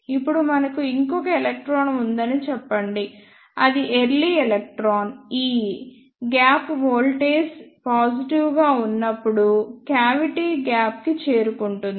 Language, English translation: Telugu, Now, let us say we have one more electron that is early electron e e which reaches the cavity gap when the gap voltage is positive